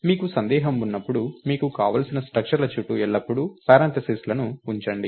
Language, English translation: Telugu, And when you are in doubt, always put parenthesis around the structures that you want